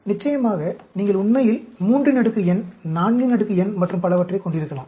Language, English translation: Tamil, Of course, you can have 3 power n, 4 power n, and so on actually